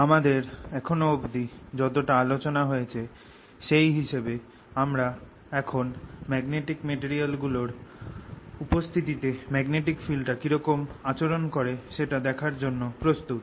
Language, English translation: Bengali, with the background given so far, we are now ready to look at how magnetic field behaves in presence of magnetic materials